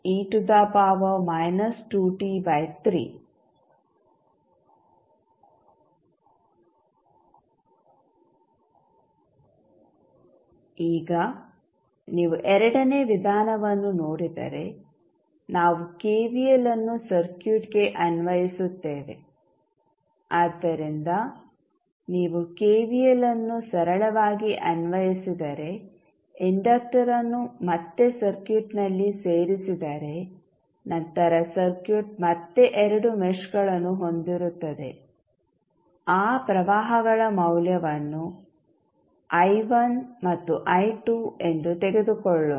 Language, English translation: Kannada, Now, if you see second method, we apply KVL to the circuit so, if you apply KVL you simply, put the inductor back to the circuit then the circuit will again have two meshes let us take the value of those currents as I1 I2